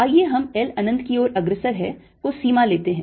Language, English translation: Hindi, let's take the limit l going to infinity